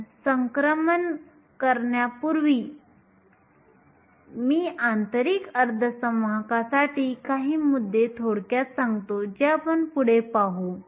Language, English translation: Marathi, Before we do the transition, let me just briefly recap few points for intrinsic semiconductors that we will carry forward